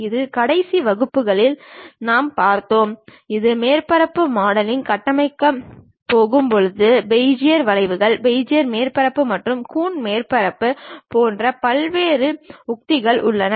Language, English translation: Tamil, This in the last classes, we have seen, when we are going to construct this surface modeling we have different strategies like Bezier curves, Bezier surfaces, and coon surfaces and so on